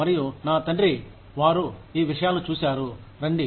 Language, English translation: Telugu, And, my father's generation, they have seen these things, come